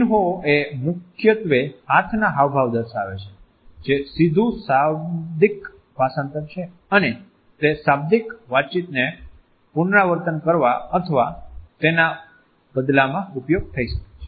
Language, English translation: Gujarati, Emblems primarily imply hand gestures that away direct verbal translation and can be used to either repeat or substitute the verbal communication